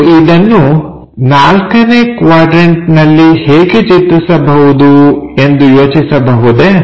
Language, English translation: Kannada, Can you think about how to construct same thing in quadrant 4